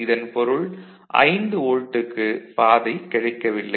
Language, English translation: Tamil, Now 5 volt does not get a path